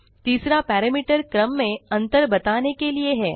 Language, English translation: Hindi, The third parameter is for stepping through the sequence